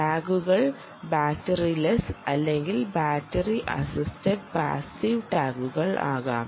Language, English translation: Malayalam, they can be battery assisted passive tags as well